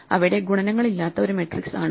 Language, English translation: Malayalam, We look at the problem of matrix multiplication